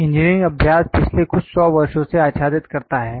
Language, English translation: Hindi, Engineering practices cover from past few hundred years